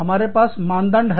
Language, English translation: Hindi, We have standards